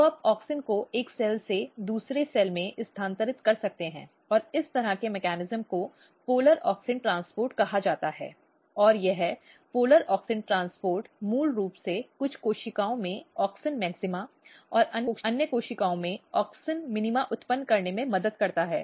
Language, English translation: Hindi, So, you can relocate auxin from one cell to another cell and this kind of mechanism is called polar auxin transport and this polar auxin transport basically helps in generating auxin maxima in some of the cells and auxin minima in another cells